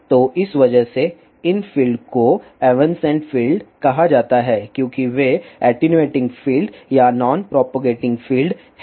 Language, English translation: Hindi, So, because of this these fields are called as evanescent fields because they are attenuating field or non propagating fields